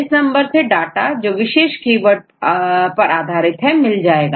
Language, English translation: Hindi, So, in this case you can search the data based on any specific keywords